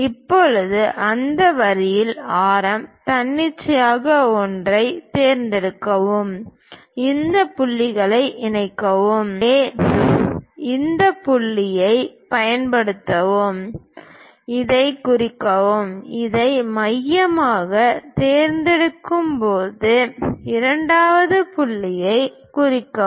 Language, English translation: Tamil, Now on that line, pick radius an arbitrary one; mark these points, so use this point; let us mark this one, pick this one as centre; mark second point